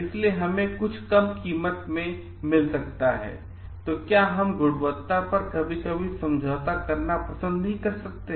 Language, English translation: Hindi, So, we may get something in a low price, but we cannot like compromise sometimes on a quality